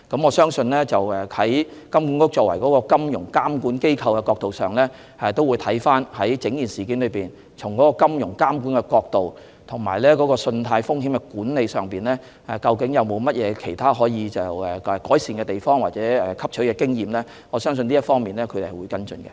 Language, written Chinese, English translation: Cantonese, 我相信，金管局作為金融監管機構會跟進並檢視整件事，從金融監管及信貸風險管理的角度，研究有否可予改善的地方或汲取的經驗。我相信這方面它會跟進。, I believe that HKMA as the financial regulator will follow up and examine the entire incident and it will study from the perspectives of financial regulation and risk management if there is room for improvement or the lessons to be learnt